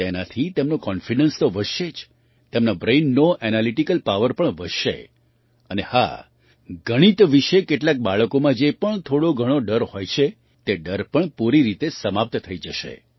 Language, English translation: Gujarati, With this, their confidence will not only increase; the analytical power of their brain will also increase and yes, whatever little fear some children have about Mathematics, that phobia will also end completely